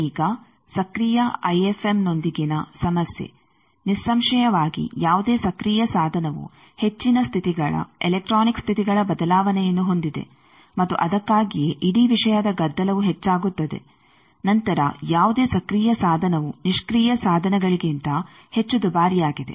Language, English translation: Kannada, Now, problem with active IFM S is obviously, any active device it is having much more change of states electronic states and that is why the noise of the whole thing increases then any active device is much more costly than passive devices